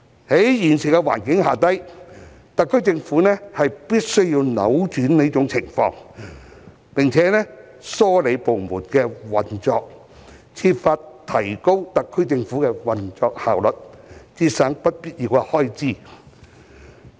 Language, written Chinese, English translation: Cantonese, 在現時的環境下，特區政府必須扭轉這種情況，並梳理部門的運作，設法提高特區政府的運作效率，節省不必要的開支。, Under the current situation it is incumbent on the SAR Government to reverse this practice and rationalize departmental operations in order to enhance its operational efficiency and reduce unnecessary expenses